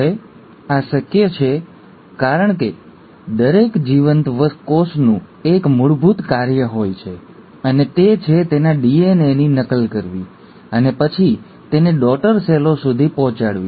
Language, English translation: Gujarati, Now this is possible because every living cell has one basic function to do, and that is to replicate its DNA and then pass it on to the daughter cells